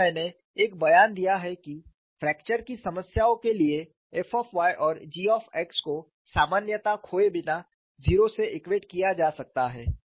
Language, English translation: Hindi, And I made a statement, that for fracture problems function of y and g of x can be equated to zero without losing generality that makes our life simple